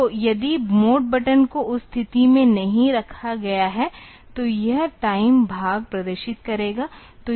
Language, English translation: Hindi, So, if the mode button is not placed in that case it will display the time part